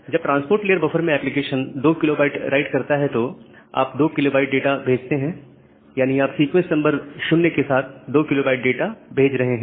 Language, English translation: Hindi, When the application does a 2 kB write at the transport layer buffer, so, you send 2 kB of data and you are sending a 2 kB of data with sequence number 0